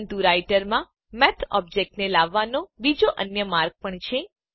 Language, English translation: Gujarati, But there is another way to bring up the Math object into the Writer